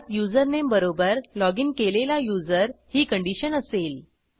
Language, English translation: Marathi, With the condition username is equal to the logged in user